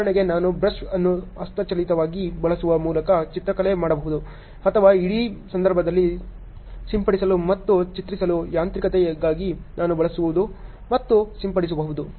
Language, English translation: Kannada, For example, I can do painting by using a brush manually or I can use and spraying for mechanism for spraying and painting in the whole case ok